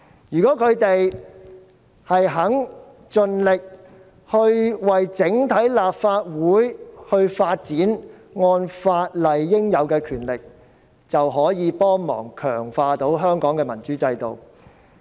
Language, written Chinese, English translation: Cantonese, 如果他們願意盡力為整體立法會發展，按法例賦予的權力，就有助強化香港的民主制度。, If they are dedicated to the overall development of the Legislative Council by acting in accordance with the rights conferred on them they will help strengthen the democratic system in Hong Kong